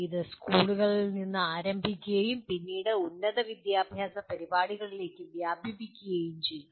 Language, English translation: Malayalam, It started with schools and then got extended to higher education programs